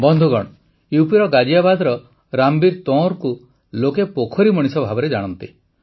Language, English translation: Odia, the people of Ghaziabad in UP know Ramveer Tanwar as the 'Pond Man'